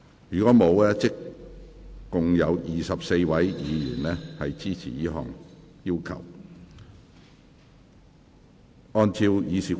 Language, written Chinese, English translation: Cantonese, 如果沒有，共有24位議員支持這項要求。, If not we have a total of 24 Members supporting this request